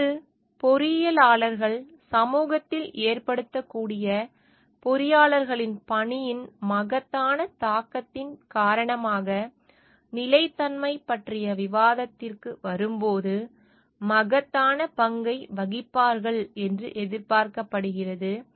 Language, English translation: Tamil, Today engineers are expected to play a immense role, when it comes to the discussion of sustainability because of the immense impact of the work of the engineers that can have on the society